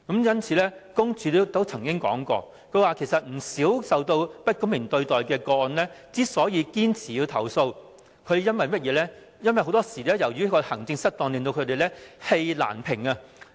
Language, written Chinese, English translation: Cantonese, 因此，申訴專員公署曾經指出，不少受到不公平對待的投訴人堅持作出投訴，很多時是因為當局的行政失當令他們氣難平。, But the Ombudsman has in fact pointed out that very often unfairly treated complainants will insist on lodging a complaint just because they feel aggrieved by government maladministration